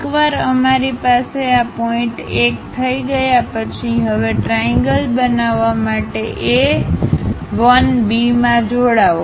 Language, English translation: Gujarati, Once done we have this point 1, now join A 1 B to construct the triangle